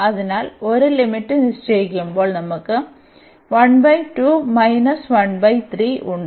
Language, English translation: Malayalam, So, when we put the upper limit here